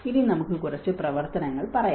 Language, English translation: Malayalam, Now, let us say a few activities